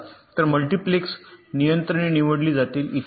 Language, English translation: Marathi, so the multiplexes, controls will be selected and so on